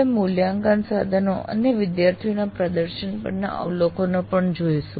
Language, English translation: Gujarati, And we will also look at observations on assessment instruments and student performance